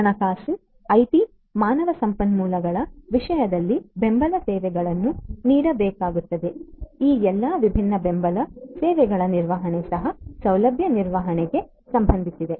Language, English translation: Kannada, of finance, IT, human resources, management of all of these different support services is also of concern of facility management